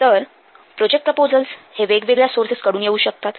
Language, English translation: Marathi, So projects projects proposals may come from different sources